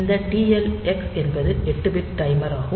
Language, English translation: Tamil, So, it is an 8 bit timer